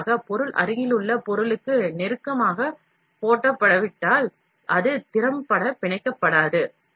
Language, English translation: Tamil, Additionally, if the material is not laid down close enough to the adjacent material, it will not bond effectively